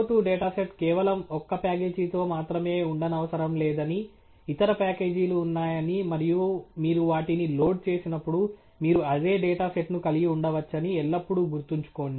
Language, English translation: Telugu, Always remember the CO 2 data set need not be just with one package, they are other packages when you load, you can also have the same data set